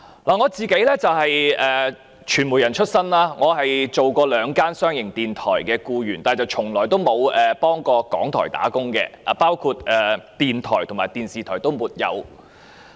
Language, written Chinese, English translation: Cantonese, 我是傳媒人出身，曾是兩間商營電台的僱員，但從沒有在香港電台工作，不論電台或電視台也沒有。, I started my career as a media worker . I used to be an employee of two commercial radio stations respectively yet I have never worked with Radio Television Hong Kong RTHK neither the radio station nor the television station